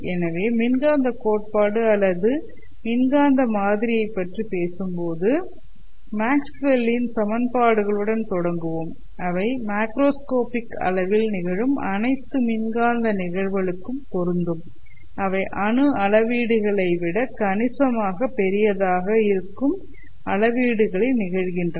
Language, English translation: Tamil, So today if we talk about electromagnetic theory electromagnetic model, we start with Maxwell's equations which are applicable to all electromagnetic phenomena occurring at macroscopic scale, that is occurring at scales which are considerably larger than the atomic scales